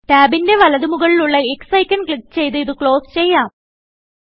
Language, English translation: Malayalam, Lets close this tab, by clicking on the X icon, at the top right of the tab